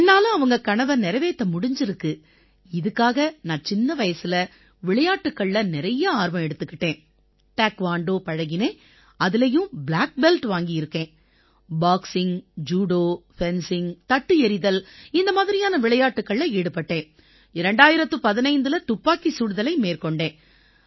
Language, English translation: Tamil, So to fulfil her dream, I used to take a lot of interest in sports since childhood and then I have also done Taekwondo, in that too, I am a black belt, and after doing many games like Boxing, Judo, fencing and discus throw, I came to shooting